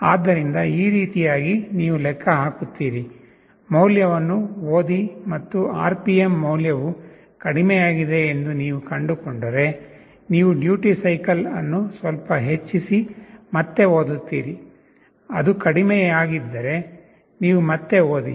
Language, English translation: Kannada, So, in this way you calculate, read the value, and if you find that the RPM value is lower, you increase the duty cycle a little bit and again read; if it is lower you again read